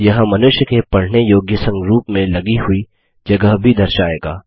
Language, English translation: Hindi, It also shows the space mounted on in a human readable format